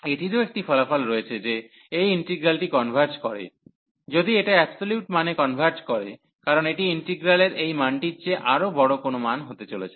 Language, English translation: Bengali, So, this is there is a result also that this is such integral converges if this converges meaning with the absolute value, because this is going to be a larger value than this value of the integral